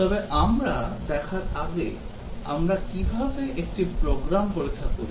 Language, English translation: Bengali, But before we look at a how do we test a program